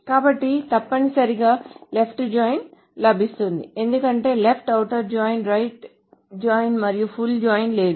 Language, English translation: Telugu, So then what you essentially get is a left join because there is no left outer join, a right join and a full join